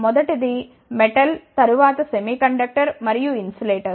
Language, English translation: Telugu, First one is metal, then semiconductor and insulators